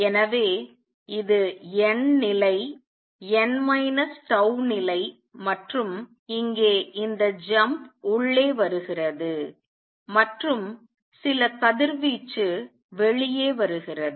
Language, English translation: Tamil, So, this is nth level n minus tau level and here is this jump coming in and some radiation comes out